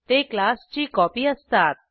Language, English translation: Marathi, They are the copy of a class